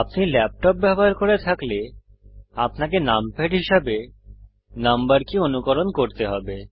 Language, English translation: Bengali, If you are using a laptop, you need to emulate your number keys as numpad